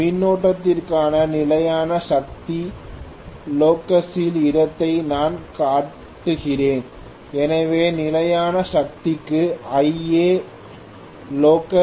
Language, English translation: Tamil, So I am showing the locus of constant power locus for the current, so Ia locus for constant power